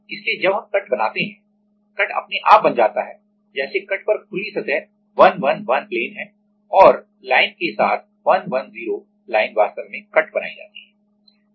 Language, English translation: Hindi, So, while we make the cut; the cut is automatically formed like the open surface at the cut is 111 plane and the along the line 110 line actually the cut is made